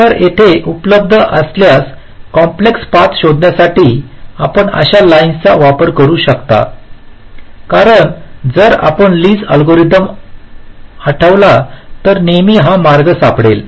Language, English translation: Marathi, so here you can use a line such algorithm to find ah complex path if it is available, because, if you recall, the lees algorithm will always find the path